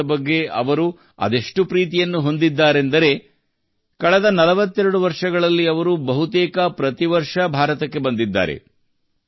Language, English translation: Kannada, He has so much affection for India, that in the last 42 forty two years he has come to India almost every year